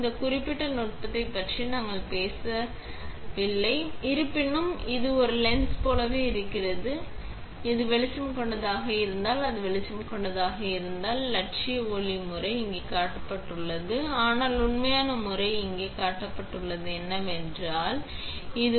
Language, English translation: Tamil, We are not going into detail about this particular technique; however, this is just like a lens is there, if it will light is connected by the lens and the ideal light pattern should be as shown here but the actual pattern is what we get is as shown here, right